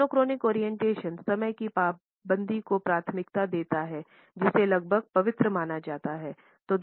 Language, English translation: Hindi, Monochronic orientations prefers punctuality which is considered to be almost sacred